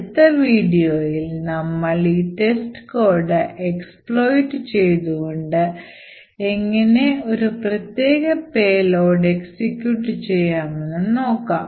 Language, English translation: Malayalam, So, in the next video what we will see is that we will take the same test code and will see how we could exploit this test code and enforce this test code to execute a particular payload